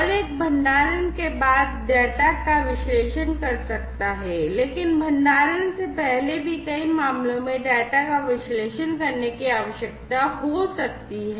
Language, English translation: Hindi, And one can analyze, the data after storage, but before storage also the in many cases the data may need to be analyzed